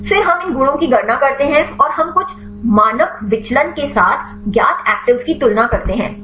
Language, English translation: Hindi, And then we calculate these properties and we compare with the known actives with some standard deviation